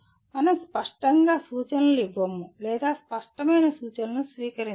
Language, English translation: Telugu, We do not clearly give instructions nor receive clear instructions